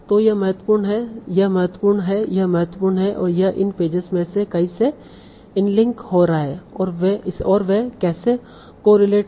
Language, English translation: Hindi, So this is important, this is important, and it is getting in links to many of these pages